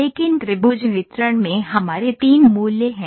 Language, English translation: Hindi, But in triangle distribution we have three values